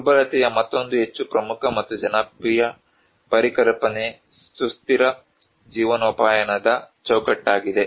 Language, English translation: Kannada, There is another more prominent and very popular conceptual idea of vulnerability is the sustainable livelihood framework